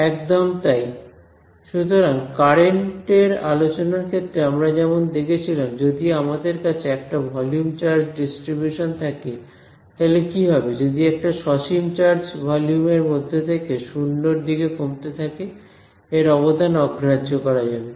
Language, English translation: Bengali, Exactly; so, just like in the case of the current discussion if I had a volume charge distribution a charge that is distributed through the volume then what will happen is the finite charge residing in a volume that is shrinking to 0; so its contribution will be negligible